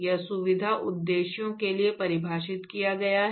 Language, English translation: Hindi, It defined for convenience purposes